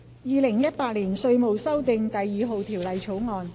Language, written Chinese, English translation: Cantonese, 《2018年稅務條例草案》。, Inland Revenue Amendment No . 2 Bill 2018